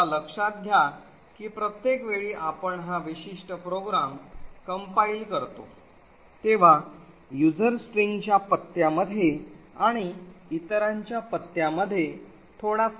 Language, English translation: Marathi, Now note that every time you compile this particular program there may be slight differences in the address of s and other minor differences in the address of user string and so on